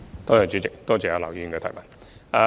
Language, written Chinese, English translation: Cantonese, 代理主席，多謝劉議員的補充質詢。, Deputy President I thank Mr LAU for his supplementary question